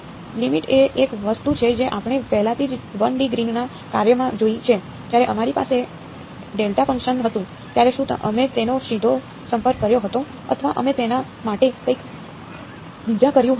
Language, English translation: Gujarati, Limit is one thing we already seen in the 1 D Green’s function; when we had delta function, did we approach it directly or did we do something else to it